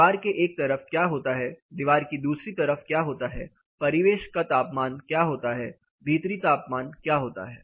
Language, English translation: Hindi, What happens on one side of the wall, what happens on the other side of the wall, what is ambient temperature, what is indoor temperature